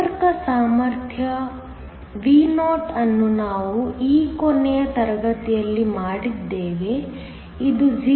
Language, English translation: Kannada, Contact potential Vo and we did this last class, is nothing but 0